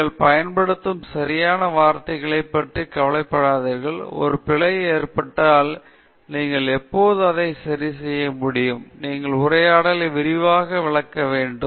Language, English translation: Tamil, Don’t worry about the exact words that you are using; if there’s an error you can always correct it; you should conversationally elaborate on the point